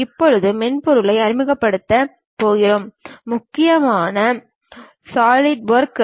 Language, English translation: Tamil, And now, we are going to introduce about a software, mainly named solidworks